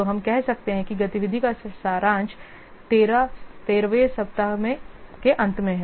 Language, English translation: Hindi, So we can say that activity summary at the end of 13th week is green